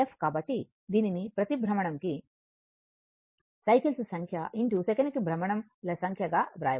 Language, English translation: Telugu, So, this can be written as number of cycles per revolution into number of revolution per second